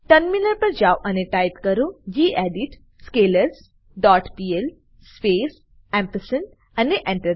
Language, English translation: Gujarati, Switch to terminal and type gedit scalars dot pl space and press Enter